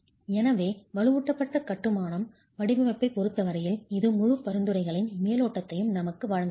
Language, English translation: Tamil, So, this broadly gives us the overview of the entire set of recommendations as far as reinforced masonry design is concerned